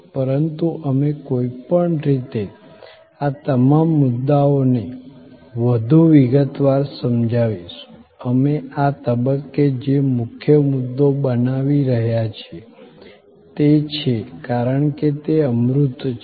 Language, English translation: Gujarati, But, we will anyway explain all these points much more in detail, the key point that we are at this stage making is that, because it is intangible